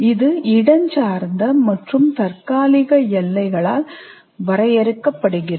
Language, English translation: Tamil, It is delineated by spatial and temporal boundaries